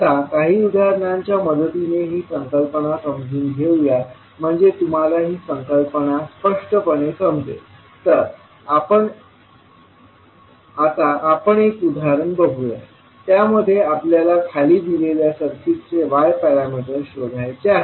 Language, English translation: Marathi, Now, let us understand this understand this particular concept with the help of few examples, so that you can understand the concept clearly, let us see one example where we have to find out the y parameters of the circuit given below